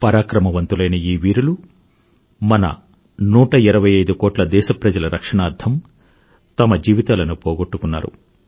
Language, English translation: Telugu, These brave hearts made the supreme sacrifice in securing the lives of a hundred & twenty five crore Indians